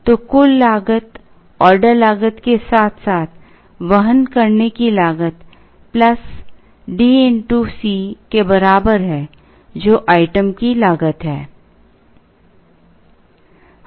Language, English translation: Hindi, So, total cost is equal to order cost plus carrying cost plus D into C, which is the item cost